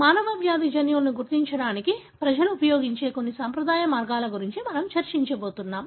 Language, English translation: Telugu, So, what we are going to discuss is some of the conventional ways people used to identify human disease genes